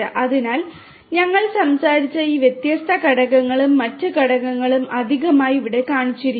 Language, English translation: Malayalam, So, all these different components that we talked about and different other components additionally have been shown over here